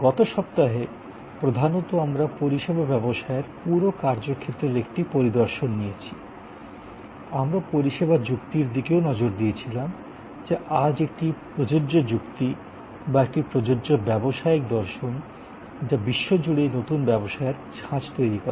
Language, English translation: Bengali, Last week, mainly we took an overview of the whole domain of services business and in an edition; we also looked at the service logic, which today is an applicable logic or an applicable business philosophy or creating new business models in general across the world